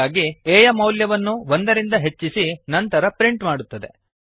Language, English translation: Kannada, So the value of a is first incremented by 1 and then it is printed